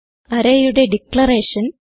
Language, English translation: Malayalam, Declaration of an array